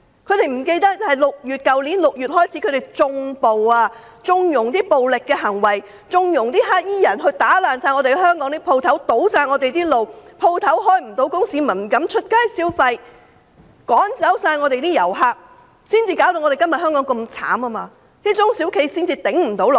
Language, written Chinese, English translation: Cantonese, 他們忘記自去年6月起，他們縱容暴力行為，縱容黑衣人破壞香港店鋪、堵塞道路，令店鋪無法營業，市民不敢上街消費，趕走了所有遊客，今天香港才會這麼淒慘，中小企才會無法支撐下去。, They forgot that since June last year they have condoned violence and connived at black - clad peoples vandalism of shops and road blockades in Hong Kong . Consequently shops cannot do business . Members of the public dare not go out to spend money